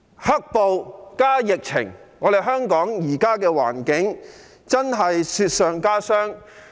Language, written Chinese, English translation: Cantonese, "黑暴"加上疫情，令香港現時的環境雪上加霜。, Black violence and the outbreak of the epidemic have made the current environment of Hong Kong even worse